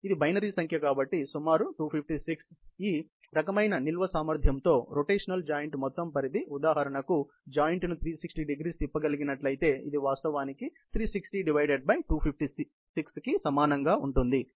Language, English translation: Telugu, So, with this kind of a storage capacity, the total range of the rotational joint; for example, if the joint were to rotate 360º, would actually to be equal to 360 by 256; that is about close to 1